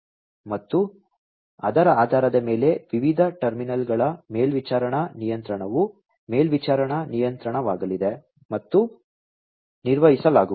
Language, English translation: Kannada, And based on that supervisory control of the different terminals are going to be supervisory control, is going to be performed